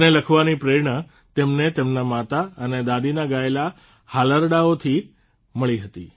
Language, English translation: Gujarati, He got the inspiration to write this from the lullabies sung by his mother and grandmother